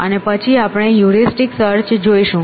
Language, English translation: Gujarati, And when we look at heuristic search essentially